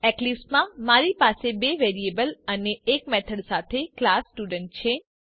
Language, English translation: Gujarati, In eclipse, I have a class Student with two variables and a method